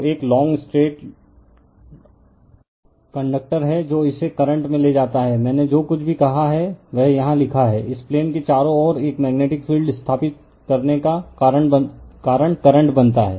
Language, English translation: Hindi, So, a long straight conductor carrying current it whatever I said it is written here right into the plane, the current causes a magnetic field to be established in the space you are surrounding it right